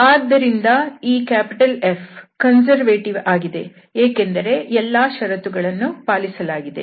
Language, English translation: Kannada, So, this F is conservative because all these conditions are satisfied